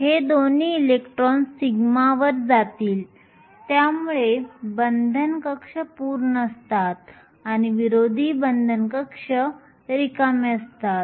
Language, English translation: Marathi, Both these electrons will go to the sigma so the bonding orbital is full and the anti bonding is empty